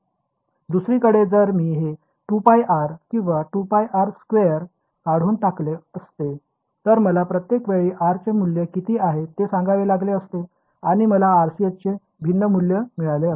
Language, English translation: Marathi, On the other hand if I had removed this 2 pi r or 4 pi r squared, then I would have to every time tell you at what value of r and I will get different values of the RCS